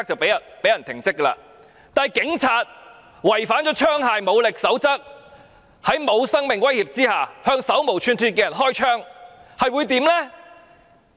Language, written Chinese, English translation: Cantonese, 然而，警員違反了使用武力與槍械的守則，在沒有生命威脅之下向手無寸鐵的人開槍，會怎樣呢？, However what are the consequences for the police officers who have violated the codes on the use of force and firearms by firing shots at unarmed people while not being subject to the threat of death?